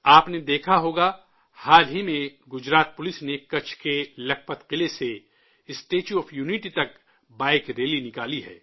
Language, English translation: Urdu, You must have noticed that recently Gujarat Police took out a Bike rally from the Lakhpat Fort in Kutch to the Statue of Unity